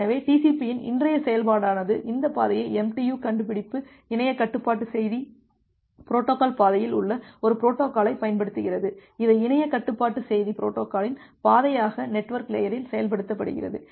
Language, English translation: Tamil, So, today’s implementation of TCP, it uses this path MTU discovery a protocol which is there in the internet control message protocol path, as a path of the internet control message protocol which is implemented at the network layer